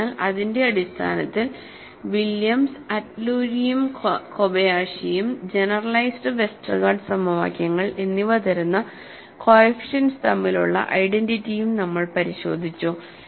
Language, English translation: Malayalam, So, based on that, we have also looked at identity between the coefficients; between Williams as well as Atluri and Kobayashi and also generalized Westergaard equations